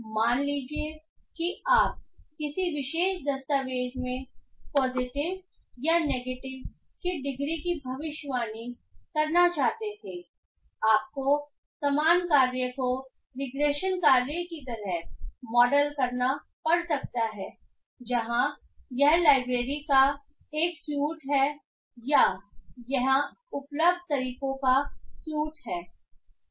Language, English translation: Hindi, Suppose you wanted to predict the degree of positiveness or negativeness in a particular document you might have to model the same task as a regression task where it has a suit of libraries or suit of methods available here